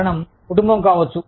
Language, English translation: Telugu, Reason, could be family